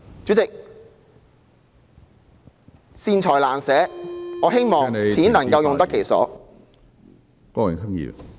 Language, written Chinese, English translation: Cantonese, 主席，善財難捨......我希望錢能夠用得其所。, Chairman the authorities are reluctant to spend money on good causes It is my hope that our money can be used effectively in a targeted manner